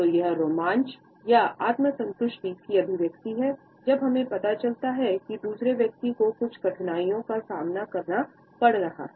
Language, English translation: Hindi, So, it is an expression of the thrill or the self satisfaction when we discovered that the other person is facing certain hardships etcetera